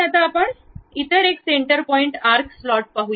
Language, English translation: Marathi, Now, we will look at other one center point arc slot